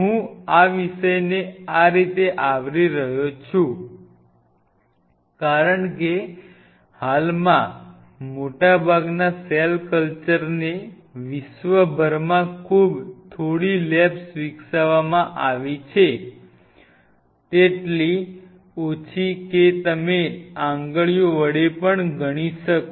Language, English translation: Gujarati, The reason I am covering this topic in this way because most of the cell culture, which is done currently across the world baring aside few labs very few means you can pretty much count them in the fingers